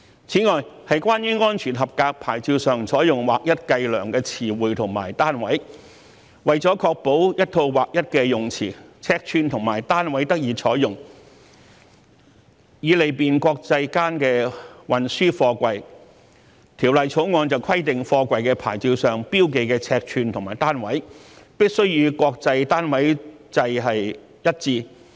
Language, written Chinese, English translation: Cantonese, 此外，是關於安全合格牌照上採用劃一計量的詞彙和單位。為了確保一套劃一的用詞、尺寸和單位得以採用，以利便國際間運輸貨櫃，《條例草案》規定貨櫃牌照上標記的尺寸和單位，必須與國際單位制一致。, Moreover regarding alignment of terms and units of physical measurement to be used on SAPs to ensure that a uniform set of terms dimensions and units are used so as to facilitate the international transport of containers the Bill requires that the physical dimensions and units marked on the SAPs of containers be aligned with the International System of Units